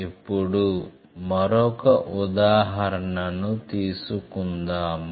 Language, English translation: Telugu, Let us take another example